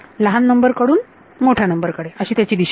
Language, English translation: Marathi, The direction is from a smaller number to a larger number